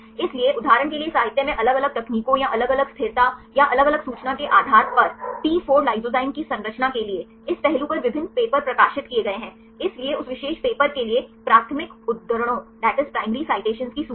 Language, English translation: Hindi, So, based on different techniques or different stability or different information right in the literature for example, for the structure to T4 lysozyme right there are various papers published on this aspect so, the listed of the primary citations for that particular paper